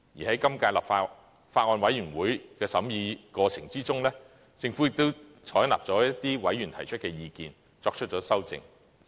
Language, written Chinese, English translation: Cantonese, 在今屆法案委員會審議的過程中，政府也接納了一些委員提出的意見，作出了修正。, During the scrutiny of the Bills Committee of the current term the Government has also accepted the views of certain members and has proposed some amendments